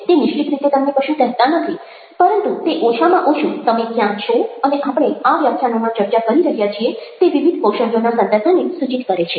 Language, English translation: Gujarati, they dont finally tell you anything in a definitive way, but they at least give you an indication as to where you stand and the context of the various skills that we are discussing over these lectures